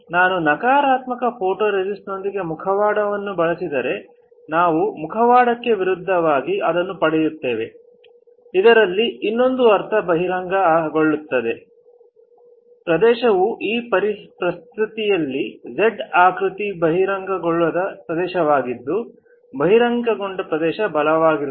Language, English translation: Kannada, If I use a mask with a negative photoresist then the opposite of that of the mask we will get it; that means, here if in another terms the area which is not exposed you see the area on the Z is not exposed that on exposed area gets stronger